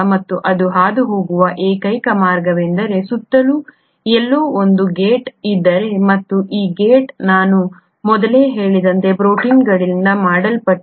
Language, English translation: Kannada, And the only possible way it will go through is that if there is a gate somewhere around and this gate is made up of proteins as I mentioned earlier